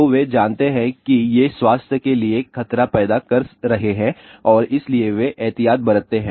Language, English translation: Hindi, So, they do know that these are causing a health hazards and hence they take that precaution